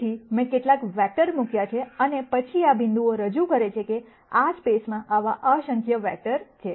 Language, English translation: Gujarati, So, I have put in some vectors and then these dots represent that, there are infinite number of such vectors in this space